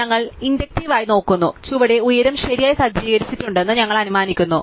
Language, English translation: Malayalam, So, we just look inductively we assume that below has the height got set correctly